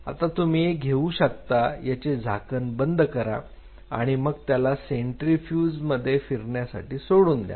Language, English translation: Marathi, Now, you take this you seal the lead of it and you spin it in a centrifuge